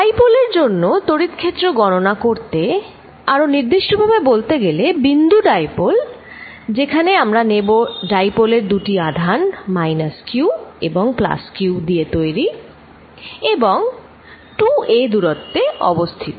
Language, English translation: Bengali, To calculate the field due to a dipole, I am going to be more specific a point dipole what we are going to do is take the dipole to be made up of 2 charges minus q and plus q separated by distance 2a